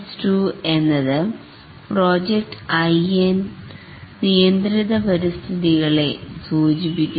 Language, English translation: Malayalam, Prince stands for project in controlled environments